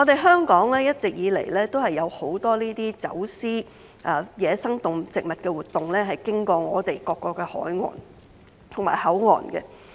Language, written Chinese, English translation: Cantonese, 香港一直以來都有很多走私野生動植物活動，經由各個海岸和口岸進行。, Various coasts and ports in Hong Kong have been vulnerable to wildlife trafficking activities